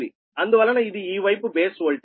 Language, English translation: Telugu, so that is your this side base voltage